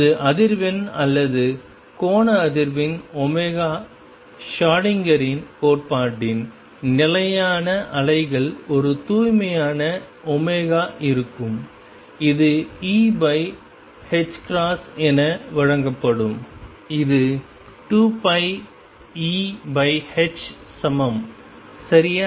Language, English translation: Tamil, And that was frequency or angular frequency was omega in the same manner the stationary waves in Schrödinger’s theory will have a pure omega which will be given as E over h cross which is same as 2 pi E over h ok